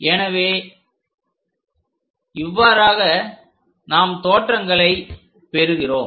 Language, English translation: Tamil, this is the way we obtain this projections